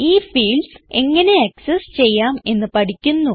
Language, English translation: Malayalam, Now, we will learn how to access these fields